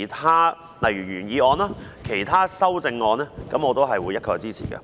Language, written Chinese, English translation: Cantonese, 但是，對於原議案及其他修正案，我會一概支持。, I cannot support these amendments but I will support the original motion and other amendments